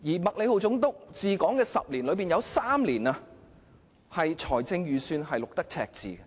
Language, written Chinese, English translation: Cantonese, 麥理浩總督治港10年，其中3年的財政預算均錄得赤字。, Under his 10 years of governance three years had recorded budget deficit